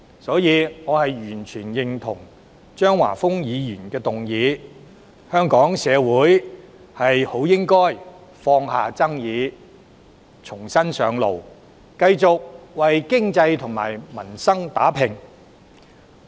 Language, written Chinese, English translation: Cantonese, 所以，我完全認同張華峰議員的議案，香港社會應當放下紛爭，重新上路，繼續為經濟與民生打拼。, Hence I totally agree with the view set out in Mr Christopher CHEUNGs motion that Hong Kong society should put aside their disputes make a fresh start and keep striving for the economy and peoples livelihood